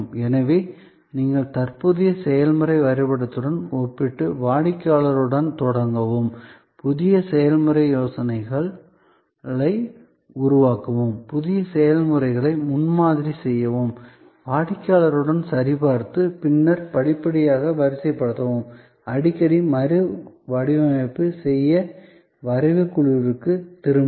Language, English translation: Tamil, So, you start with the customer, compare with the current process map, develop new process ideas, prototype the new processes, check with the customer and then deploy gradually, often go back to the drawing board to redesign